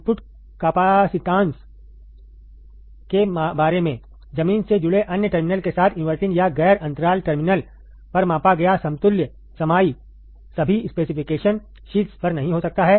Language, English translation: Hindi, About the input capacitance, the equivalent capacitance measured at either the inverting or non interval terminal with the other terminal connected to ground, may not be on all specification sheets